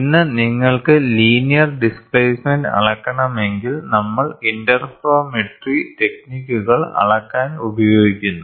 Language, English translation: Malayalam, Today if you want to measure the linear displacement, we use interferometry techniques to measure